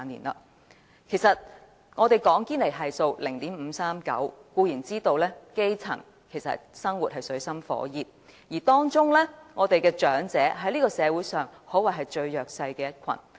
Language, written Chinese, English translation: Cantonese, 我們說現時堅尼系數是 0.539， 固然知道基層生活於水深火熱中，而當中，長者在社會上可謂最弱勢的一群。, Having said that the current Gini Coefficient is 0.539 and we certainly know that the grass roots live in dire straits and among them the elderly can be regarded as the most disadvantaged in society